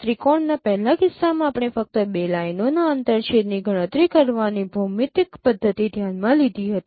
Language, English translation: Gujarati, In the previous case of triangulation we considered only geometric method of computing the intersections of two lines